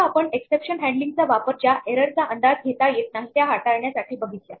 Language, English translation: Marathi, Now, while we normally use exception handling to deal with errors which we do not anticipate